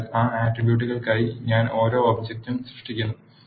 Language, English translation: Malayalam, So, I am creating each vector for those attributes